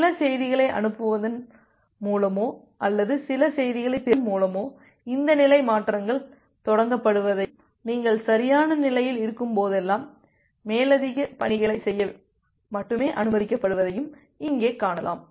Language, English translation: Tamil, And here you can see that this state transitions are initiated by sending some messages or receiving some messages and whenever you are in a proper state then only you are allowed to do further task